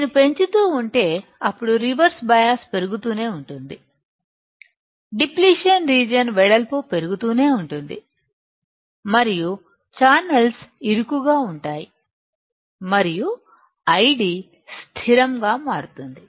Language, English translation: Telugu, If I keep on increasing, then the reverse bias will keep on increasing, width of depletion will keep on increasing and channels becomes narrower and I D becomes constant